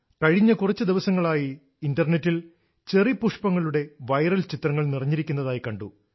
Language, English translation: Malayalam, For the past few days Internet is full of viral pictures of Cherry Blossoms